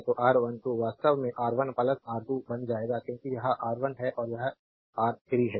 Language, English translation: Hindi, So, R 1 2 will become actually R 1 plus R 3 because this is R 1 and this is R 3 right